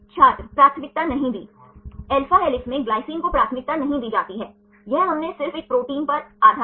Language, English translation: Hindi, not preferred Glycine is not preferred in alpha helix; this we did based on just one protein